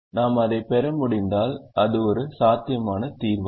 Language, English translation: Tamil, if we are able to get that, then it is a feasible solution